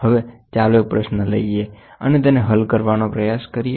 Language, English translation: Gujarati, Now, let us take a question and try to solve it